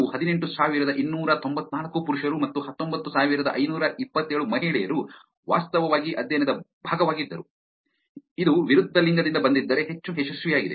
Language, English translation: Kannada, 18,294 males and 19,527 females were actually being part of the study, more successful if it came from the opposite gender